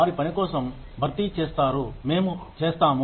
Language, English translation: Telugu, They compensate for the work, we do